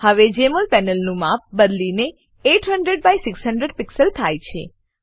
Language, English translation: Gujarati, Now the Jmol panel is resized to 800 by 600 pixels